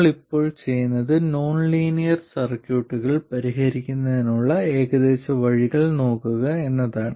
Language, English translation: Malayalam, What we will do now is to look at approximate ways of solving nonlinear circuits